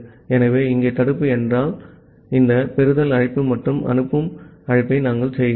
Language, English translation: Tamil, So, it is inside this if block here we are making this receive call and a send call